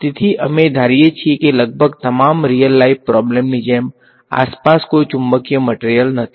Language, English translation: Gujarati, So, we are assuming that as with almost all real life problems the there are no magnetic materials around ok